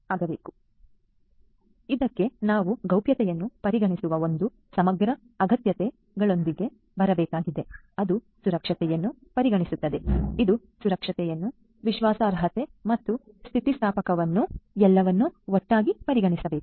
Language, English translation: Kannada, So, for this basically we need to come up with an integrated set of requirements which will consider privacy, which will consider safety, which will consider security, which will consider reliability and resilience everything together ok